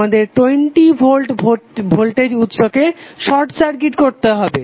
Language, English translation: Bengali, We have to short circuit the 20 volt voltage source